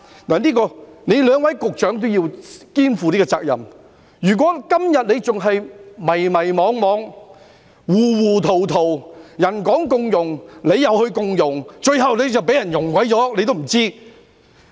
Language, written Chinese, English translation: Cantonese, 就此，兩位局長均要肩負這個責任，如果他們今天仍然迷迷惘惘、糊糊塗塗，別人說共融，他們便共融，最後被人"溶了"也不知道。, Both Secretaries have to take this responsibility . If they remain confused nowadays and talk about inclusiveness just like everyone else they will be melted before they know it